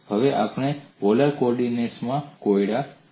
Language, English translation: Gujarati, Now we look at the problem in polar co ordinates